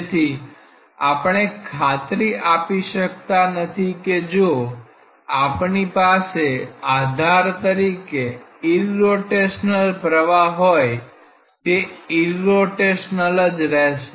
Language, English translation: Gujarati, So, we cannot ensure that if we have a irrotational flow as a reference case or as the undisturbed flow that will remain as irrotational